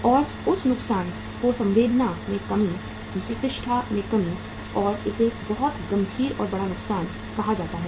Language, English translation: Hindi, And that loss is called as the loss in the goodwill, the loss in the reputation and that is a very very serious and the big loss